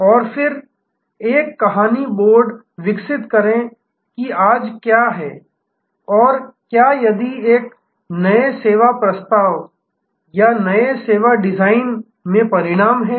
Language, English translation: Hindi, And then, develop a story board that what is today and what if and resulting into the new service proposal or new service design